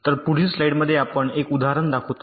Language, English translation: Marathi, so we show an example in the next slide